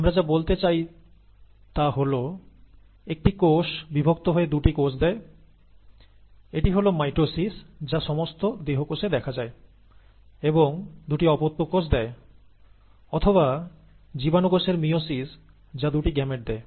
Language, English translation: Bengali, What we mean is actually this, a single cell divides to become two cells, it is either mitosis, of all the somatic cells, which yields two daughter cells or the meiosis, of germ cells, which yields two gametes